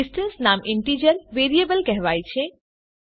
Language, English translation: Gujarati, The name distance is called an integer variable